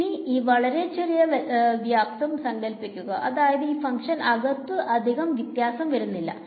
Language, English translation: Malayalam, So, let us assume that this volume is very small such that this function does not vary very much inside it